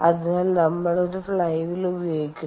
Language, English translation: Malayalam, so thats why we use a flywheel